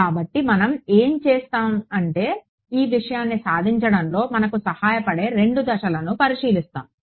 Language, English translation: Telugu, So, what we will do is we will we will take consider 2 steps which will help us to accomplish this thing ok